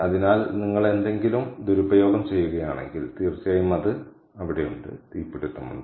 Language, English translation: Malayalam, so if you misuse anything, of course that is there